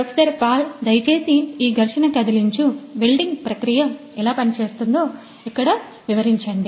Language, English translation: Telugu, So, Professor Pal would you please explain over here how this friction stir welding process works